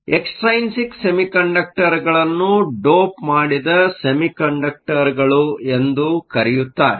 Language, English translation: Kannada, Extrinsic semiconductors are also called doped semiconductors